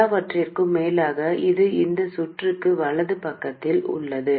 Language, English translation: Tamil, After all, it is to the right side of this circuit